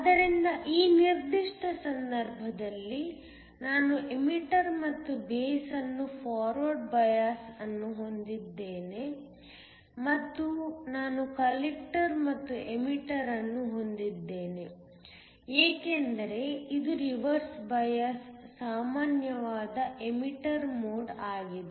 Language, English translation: Kannada, So, in this particular case I have the emitter and the base to be forward biased and I have the collector and the emitter because it is a common emitter mode to be reverse biased